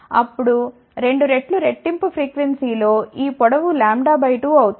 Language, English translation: Telugu, Then at double the frequency this length will become lambda by 2